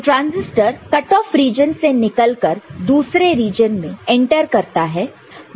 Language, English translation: Hindi, So, this from cut off region transistor enters into next region